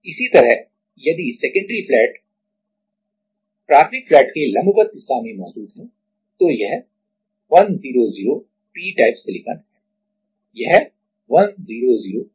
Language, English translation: Hindi, Similarly, if the secondary flat is present at the perpendicular direction to a primary flat then it is 100 p type, it is 100 p type